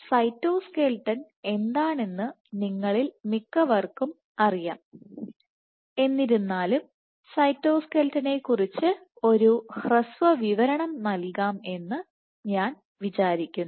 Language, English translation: Malayalam, So, for the cyto, you most of you know what is cytoskeleton is, but I still thought of giving a brief overview of the cytoskeleton